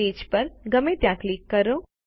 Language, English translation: Gujarati, Click anywhere on the page